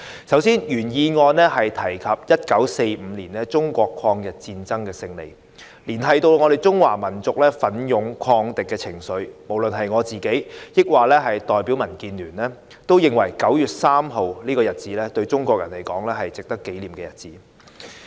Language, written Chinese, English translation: Cantonese, 首先，原議案提及1945年中國抗日戰爭勝利，彰顯中華民族奮勇抗敵的精神，我和我所代表的民建聯都認為9月3日這日子對於中國人是一個值得紀念的日子。, First the original motion refers to the victory of the Chinese Peoples War of Resistance against Japanese Aggression in 1945 which manifested the heroic resistance of the Chinese nation against the enemy . DAB and I believe that 3 September is a memorable day for Chinese people